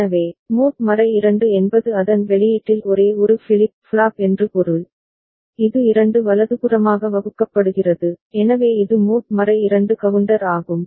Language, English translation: Tamil, So, mod 2 means only one flip flop at its output, it is divided by 2 right, so that is mod 2 counter